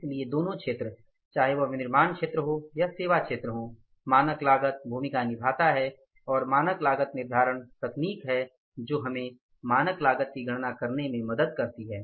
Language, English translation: Hindi, So in both the sectors whether it is manufacturing or it is services sector, standard cost plays the role and standard costing is the technique which helps us to calculate the standard cost